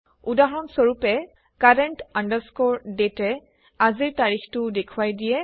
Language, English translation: Assamese, For example, CURRENT DATE returns todays date